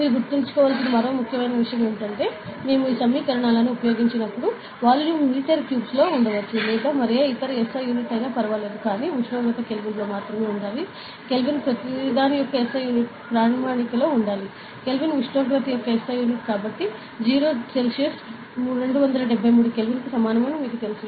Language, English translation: Telugu, And one more important thing that you have to remember is, when we use these equations, we should remember that volume can be in metre cube or any other SI unit does not matter; but temperature should be in Kelvin, Kelvin is the SI unit of everything should be in a standard unit, ok